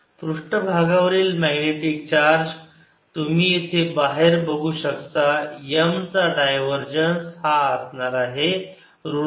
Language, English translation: Marathi, surface magnetic charge you can see out here divergence of m is going to be minus m